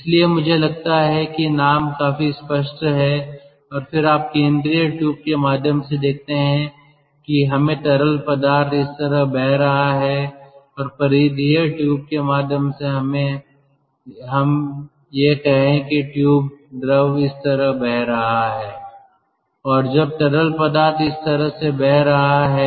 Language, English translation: Hindi, and then you see in in through the central tube, lets say the fluid is flowing like this, and through the peripheral tube, lets say the tube, fluid is flowing like this